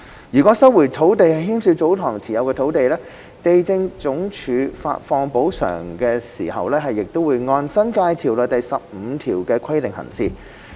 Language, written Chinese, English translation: Cantonese, 如收回的土地涉及祖堂持有的土地，地政總署發放補償時亦會按《新界條例》第15條的規定行事。, If the land resumed is land held by tsotong LandsD has to act also in accordance with section 15 of the New Territories Ordinance when disbursing the compensation